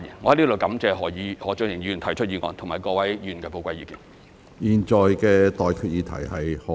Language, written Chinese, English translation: Cantonese, 我在此感謝何俊賢議員提出議案和各位議員提出寶貴意見。, I thank Mr Steven HO for moving the motion and Members for providing valuable opinions